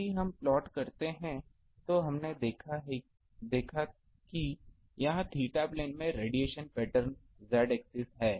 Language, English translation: Hindi, If we plot we have seen if this is z axis the radiation pattern in the theta plane